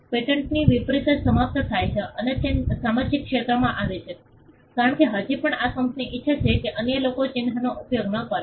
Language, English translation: Gujarati, Unlike a patent which expires and comes into the public domain, because still this company would want others not use the mark